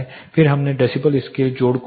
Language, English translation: Hindi, Then we looked at decibel scale addition